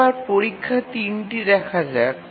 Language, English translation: Bengali, Now let's look at the test 3